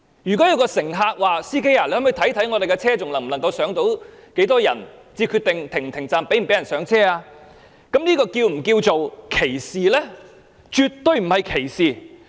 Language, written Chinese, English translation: Cantonese, 如果有位乘客向司機問道，看看巴士上還有多少空間，再決定是否停站讓人上車，這又是否稱為歧視呢？, If a passenger asks a driver to check the space inside the bus before deciding whether to stop at the bus stop for people to get on can this be regarded as discrimination?